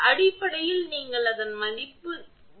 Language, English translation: Tamil, Basically, it is value of you will find that E